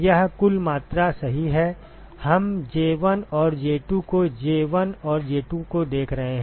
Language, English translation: Hindi, This is total quantity right, we are looking at J1 and J2 looking at J1 and J2